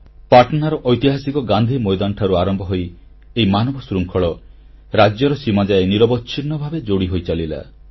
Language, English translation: Odia, The human chain that commenced formation from Gandhi Maidan in Patna gained momentum, touching the state borders